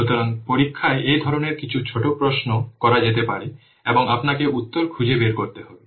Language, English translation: Bengali, So in the examination, some these types of small questions might be asked and you have to find out the answer